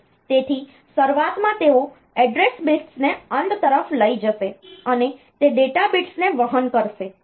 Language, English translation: Gujarati, So, in at the beginning they will carry the address bits towards the end it will carry the data bits